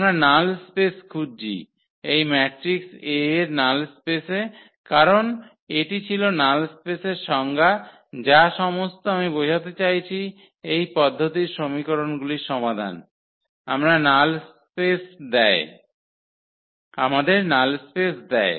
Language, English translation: Bengali, We are looking for the null space of this null space of this matrix A because that was the definition of the null space that all the I mean the solution of this system of equation gives us the null space